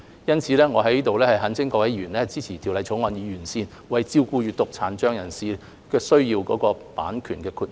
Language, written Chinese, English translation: Cantonese, 因此，我在這裏懇請各位委員支持《條例草案》，以完善為照顧閱讀殘障人士需要的版權豁免。, Therefore I hereby urge Members to support the Bill so as to improve the copyright exceptions which cater for the needs of persons with a print disability